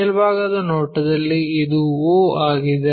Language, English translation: Kannada, In the top view this is the o